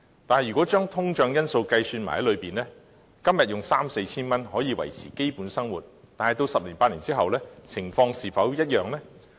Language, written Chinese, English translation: Cantonese, 但如果將通脹因素計算在內，今天的三四千元可以維持基本生活，但在十年八年後，情況是否一樣呢？, While 3,000 to 4,000 is sufficient for maintaining a basic living today will the situation remain the same after a decade or so if we factor in inflation?